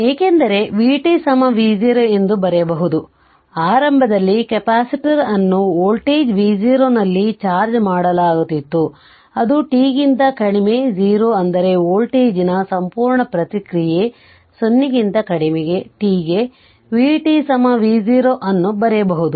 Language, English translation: Kannada, Therefore, you can write because v t is equal to v 0, initially capacitor was charged at voltage v 0 that is for t less than 0 that means complete response of voltage, you can write v t is equal to V 0 for t less than 0 right